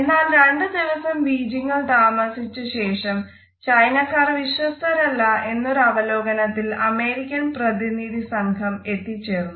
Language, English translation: Malayalam, However, after about two days of a spending in Beijing, American delegation give the feedback that they do not find the Chinese to be trust for the people